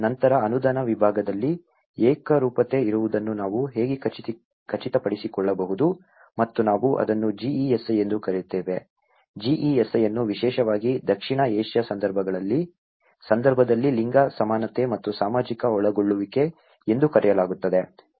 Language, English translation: Kannada, Then, there is how we can ensure that there is a uniformity in the grant division and we call it as GESI, addressing GESI especially in the South Asian context one is called gender, equality and social inclusion